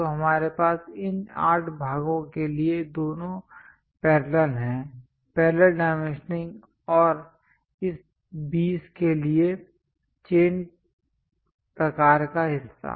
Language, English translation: Hindi, So, we have both the parallel for these 8 parts; parallel dimensioning and for this 20, chain kind of part